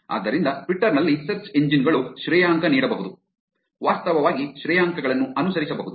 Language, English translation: Kannada, So, search engines in Twitter can rank, actually follow ranks